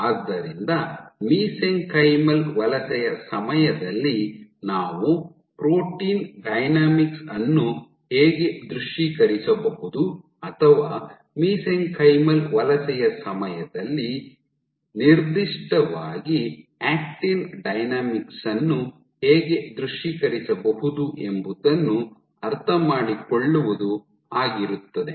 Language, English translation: Kannada, So, what we were interested in was understanding how can we visualize protein dynamics during mesenchymal migration or specifically actin dynamics during mesenchymal migration